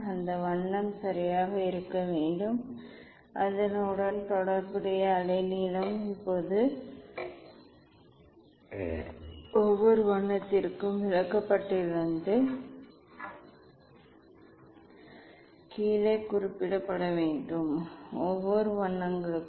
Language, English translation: Tamil, just that colour is should right, and corresponding wavelength is should note down from the chart Now, for each colours; for each colours